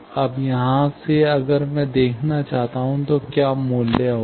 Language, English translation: Hindi, Now, from here, if I want to look, what will be the value